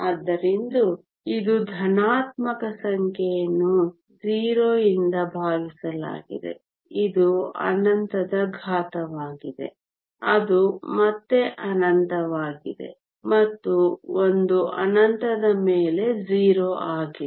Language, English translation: Kannada, So, this is a positive number divided by 0 which is the exponential of infinity which is again infinity and 1 over infinity is 0